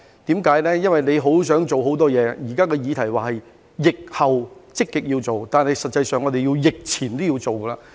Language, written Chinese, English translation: Cantonese, 政府有很多事想做，而現時的議題是疫後積極要做的工作，但實際上，在疫前都要做。, The Government wants to do a lot of things and the issue at hand is the work to be done proactively after the epidemic . But actually something has to be done before the epidemic